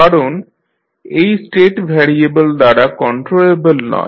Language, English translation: Bengali, Because this state variable is not controllable by the input u t